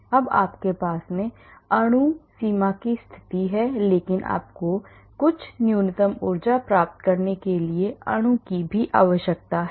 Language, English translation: Hindi, now you have the molecule you have the boundary condition, but you need the molecule to attain certain minimum energy conformation